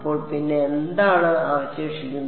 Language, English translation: Malayalam, So, what is left then